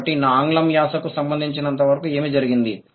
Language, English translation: Telugu, So, what happened as far as my accent of English is concerned